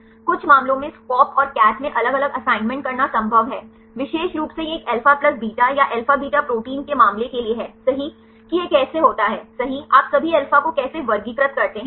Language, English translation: Hindi, In some cases it is possible to the different assignments in SCOP and CATH; especially for the case of this a alpha plus beta or alpha beta proteins right how this happens right how do you classify the all alpha